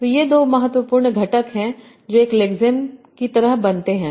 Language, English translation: Hindi, So these are the two important components that make a lexene